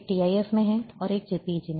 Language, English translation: Hindi, One is in TIF, and one is in JPEG